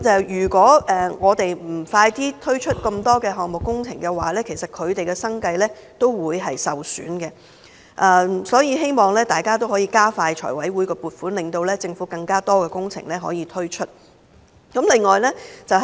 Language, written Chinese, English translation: Cantonese, 如果我們不加快推出更多工程項目，他們的生計亦會受損，所以希望大家加快財委會的撥款，令政府可以推出更多工程。, If we do not act fast to kick start more works projects their livelihood will be affected . Therefore I urge Members to speed up FCs funding approval for more government projects to be launched